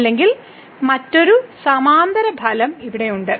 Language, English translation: Malayalam, Or there is another parallel result here